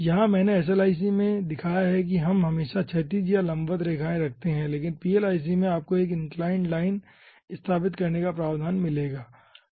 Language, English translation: Hindi, here i have shown in slic that we will be having always horizontal or vertical lines, but in plic you will be having provision for setting up 1 in inclined line